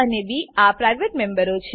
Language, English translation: Gujarati, a and b are private members